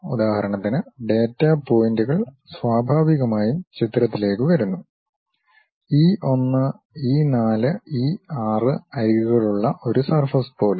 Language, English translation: Malayalam, For example, data pointers naturally come into picture, something like a surface that is having edges E 1, E 4, E 6